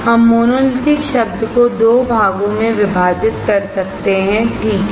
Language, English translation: Hindi, We can divide the term monolithic into 2 parts, alright